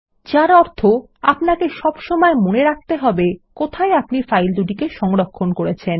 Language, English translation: Bengali, Which means, you will always have to keep track of the location where you are storing both the files